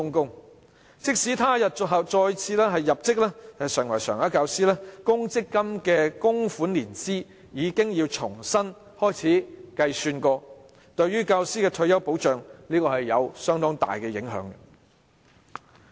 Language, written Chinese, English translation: Cantonese, 有關教師即使他日再次入職成為常額教師，其公積金供款年資要重新計算，這對教師的退休保障有相當大的影響。, Even if the teacher concerned becomes a regular teacher again later the year of his provident fund contribution has to be calculated anew . This affects his retirement protection rather significantly